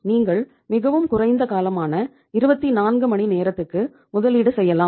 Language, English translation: Tamil, You can invest it for a very short interval of 24 hours